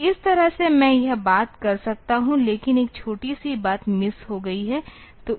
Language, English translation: Hindi, So, this way I can do this thing; only one thing one small thing is missing